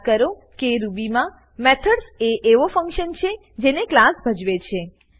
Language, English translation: Gujarati, Recall that in Ruby, methods are the functions that a class performs